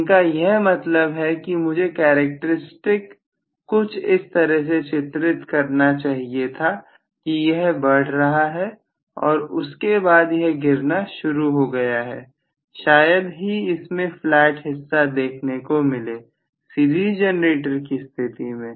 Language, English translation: Hindi, What he means is I should have probably drawn the characteristic, it is increasing alright and after that it should start dropping hardly ever there should be a flat portion, in the series generator that’s right